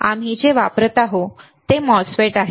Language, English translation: Marathi, What we are using are MOSFETs